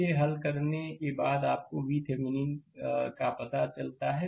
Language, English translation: Hindi, After after solving this, you find out V Thevenin